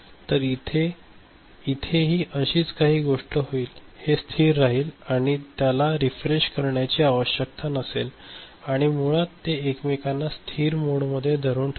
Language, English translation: Marathi, So, similar thing will happen here, it will remain stable and as I said it does not require refreshing and also basically they are holding each other in a stable mode, is it clear right